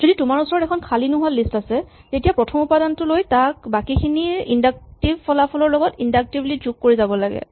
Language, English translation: Assamese, So, if you have a non empty list, the sum is given by taking the first element and then inductively adding it to the inductive result of computing the rest